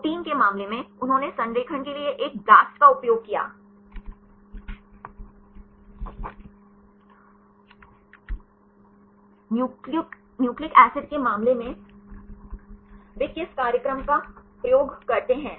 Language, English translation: Hindi, In the case of the proteins, they used a blastp for the alignment; for the case of nucleic acids, which program they use